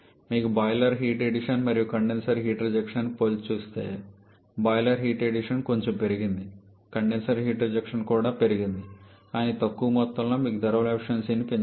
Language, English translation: Telugu, If you compare the boiler heat addition and condenser heat rejection wall any tradition has increased quite a bit condenser heat reaction is also increased but to a lesser amount degree giving you a higher increasing the thermal efficiency